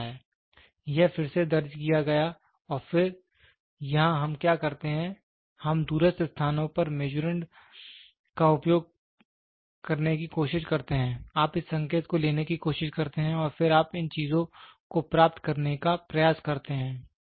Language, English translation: Hindi, So, it into retransmitted and then here what we do is we try to use the Measurand at remote places, you try to take this signal and then you try to get these things